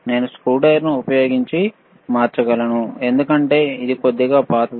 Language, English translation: Telugu, I can change it using the screwdriver, right this is , because it is a little bit old